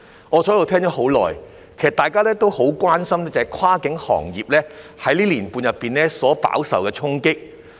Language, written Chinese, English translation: Cantonese, 我坐着聆聽了很久，其實大家都很關心跨境運輸行業在這1年半所飽受的衝擊。, Seated I have listened for a long time . In fact we all have grave concerns about the impact the cross - boundary transport sector has suffered in the past one and a half years